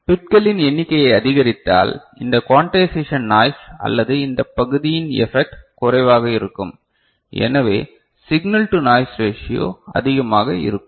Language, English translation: Tamil, And also we take note that if we increase the number of bits, then this quantization noise or this part is, effect is less signal to noise ratio is higher, right